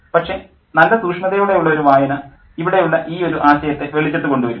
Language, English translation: Malayalam, But a good close reading will kind of bring out this theme that's there